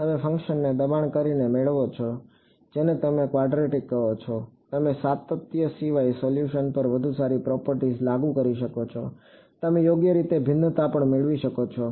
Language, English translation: Gujarati, You get by forcing the function to be what do you call quadratic you may be able to enforce better properties on the solution apart from continuity you may also be able to get differentiability right